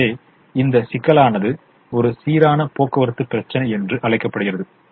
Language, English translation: Tamil, so this problem is called a balanced transportation problem